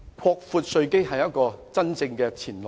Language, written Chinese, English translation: Cantonese, 擴闊稅基是一條真正的前路。, Broadening the tax base is the right way forward